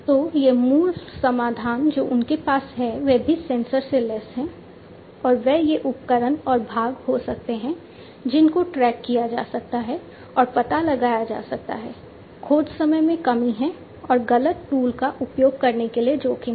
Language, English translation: Hindi, So, these basic the solution that they have is also sensor equipped, and they can be these tools and parts can be tracked and traced, there is reduction in searching time, and risk for using wrong tools